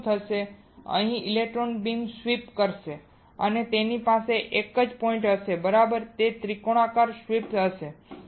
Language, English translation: Gujarati, Here what will happen here the electron beam will sweep or it will have a single point right all it will have a triangular sweep